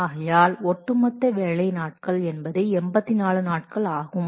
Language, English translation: Tamil, So cumulative work days is equal to 84 days